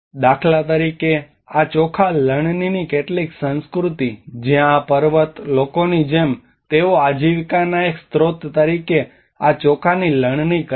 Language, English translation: Gujarati, Like for instance, and some of these rice harvesting culture, where these mountain people like they have these rice harvesting as one of the important livelihood source